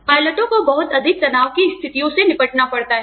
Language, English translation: Hindi, Pilots have to deal with, very high stress situations